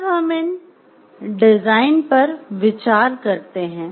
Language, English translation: Hindi, So, if we consider these design situations